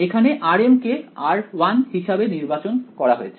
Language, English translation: Bengali, Here r m is chosen to be r 1